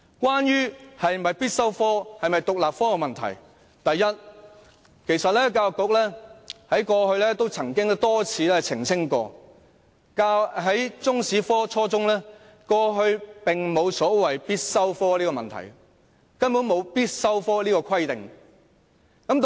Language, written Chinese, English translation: Cantonese, 關於中史科是否必修科或獨立科的問題，第一，教育局曾經多次澄清，過去沒有出現初中中史科是否必修科的問題，也沒有必修科的規定。, Concerning the issue of whether Chinese History should be a compulsory subject or independent subject first the Education Bureau has repeatedly clarified that the question of whether Chinese History should be made compulsory at junior secondary level was not raised in the past and Chinese History was not required to be a compulsory subject